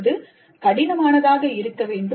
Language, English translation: Tamil, It must be complex